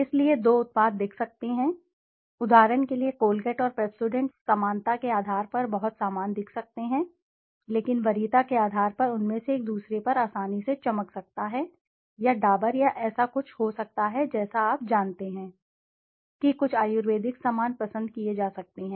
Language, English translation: Hindi, So, two products might look, for example Colgate and Pepsodent might look very similar to on basis of similarity, but on preference one of them might be wining easily over the other or may be Dabur or something like you know some ayurvedic stuff could be preferred over the Colgate or Pepsodent, could be possible